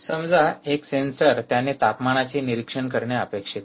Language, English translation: Marathi, there is a sensor, ah, which is expected to monitor the temperature